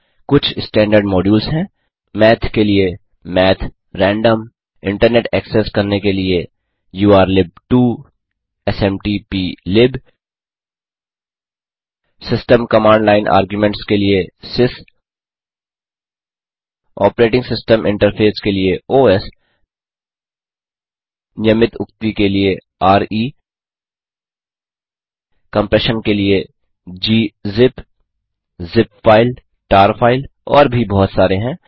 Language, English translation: Hindi, Some of the standard modules are, for Math: math, random for Internet access: urllib2, smtplib for System, Command line arguments: sys for Operating system interface: os for regular expressions: re for compression: g zip, zip file, tar file And there are lot more